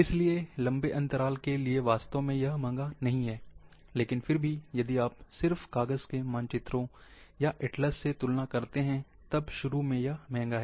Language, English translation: Hindi, Therefore, in long term, it is not really expensive, but still, if you just start comparing with paper maps or atlases, ofcourse, initially it is expensive